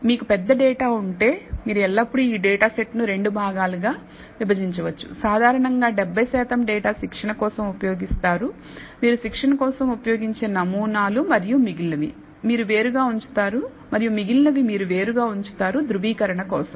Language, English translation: Telugu, So, if you have a large data set, then you can always divide this data set into 2 parts; one used for training typically 70 percent of the data samples you will use for training and the remaining, you will set apart for the validation